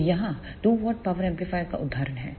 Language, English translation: Hindi, So, here is example of 2 watt power amplifier